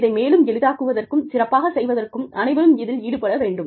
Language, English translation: Tamil, In order to facilitate this, and make this better, everybody has to be involved